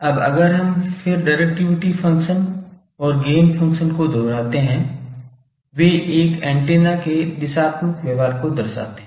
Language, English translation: Hindi, Now if we again recapitulate that both directivity function and gain function, they characterize an antennas directional behaviour